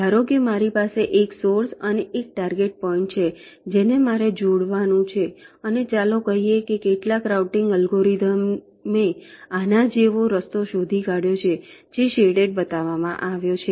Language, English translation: Gujarati, laid you, as suppose i have a source and a target point which i have to connect and, let say, some routing algorithm has found out a path like this which is shown shaded